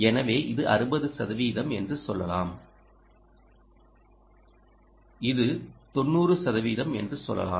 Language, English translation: Tamil, so this is, let us say, ah, sixty percent and this is going to, lets say, ninety percent